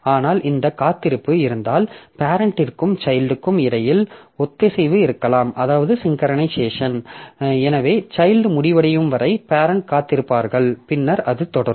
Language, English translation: Tamil, But if this weight is there then there may be synchronization between parent and child so parent will wait for the child to be over and then only it will continue